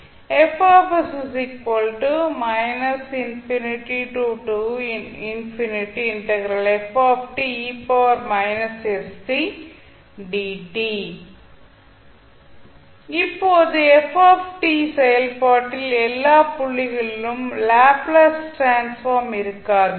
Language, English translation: Tamil, Now, the function ft may not have a Laplace transform at all points